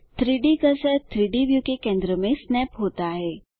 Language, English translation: Hindi, The 3D cursor snaps to the centre of the 3 selected objects